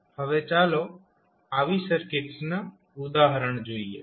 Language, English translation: Gujarati, Now, let us see the example of such types of circuits